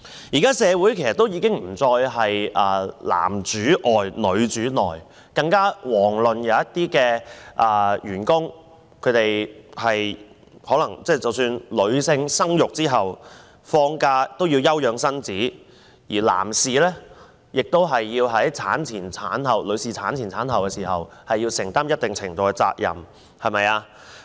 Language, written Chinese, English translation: Cantonese, 事實上，現時社會已不再是男主外、女主內的情況，一些女員工在生產後需要放假休養身體，而男士亦要在女方產前及產後承擔一定程度的責任。, Actually men make houses women make homes may no longer be valid in a modern - day society . Female employees need to take leave for physical recovery after childbirth and male employees also need to share some responsibilities before and after their wifes childbirth